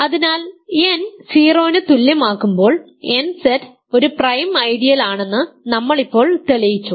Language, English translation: Malayalam, So, when n is equal to 0 we have proved just now that nZ is a prime ideal right